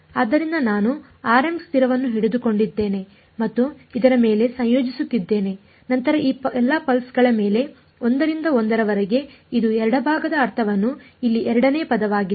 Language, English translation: Kannada, So, I am holding r m constant and integrating over this then this then this over all of these pulses 1 by 1 that is the meaning of the left hand side the second term over here